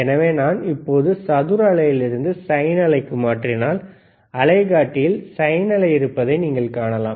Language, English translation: Tamil, So now, if I have from the square wave 2to sine wave, you can see there is a sine wave, right